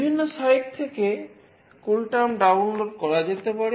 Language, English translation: Bengali, CoolTerm can be downloaded from several sites